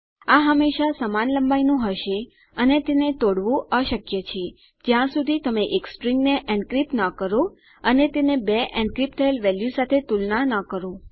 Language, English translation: Gujarati, Its always the same length and I believe its impossible to crack unless you encrypt a string and then you compare it to your two encrypted values